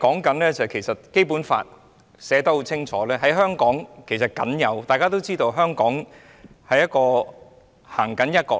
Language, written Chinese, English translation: Cantonese, 事實上，《基本法》清楚訂明，而大家也知道，"一國兩制"是香港僅有。, In fact it is stipulated unequivocally in the Basic Law that one country two systems is unique to Hong Kong and Members all know that